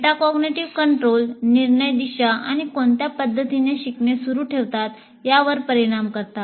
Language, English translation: Marathi, Metacognitive control decisions influence the direction and the manner in which learning will continue